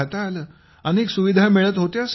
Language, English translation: Marathi, There were a lot of facilities available there sir